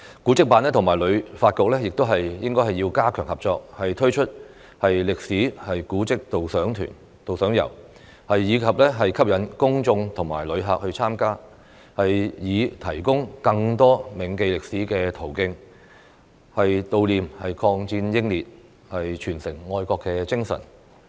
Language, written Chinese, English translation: Cantonese, 古蹟辦和旅發局亦要加強合作，推出歷史古蹟導賞遊，吸引公眾和遊客參加，以提供更多銘記歷史的途徑，悼念抗戰英烈，傳承愛國精神。, The Antiquities and Monuments Office and the Hong Kong Tourism Board should also strengthen their cooperation by launching guided tours of historical monuments to attract the public and tourists so as to provide more ways to remember history pay tribute to the martyrs of the war and pass on the patriotic spirit